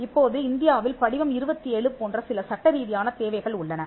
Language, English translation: Tamil, Now, in India there are certain statutory requirements like form 27, which is a working statement